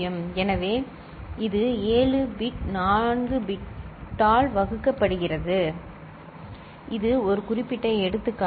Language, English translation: Tamil, So, this is 7 bit getting divided by 4 bit this is a specific example